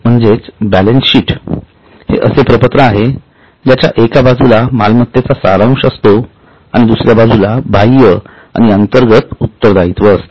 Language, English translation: Marathi, So, balance sheet is a statement which summarizes asset on one side and external and internal liabilities on the other side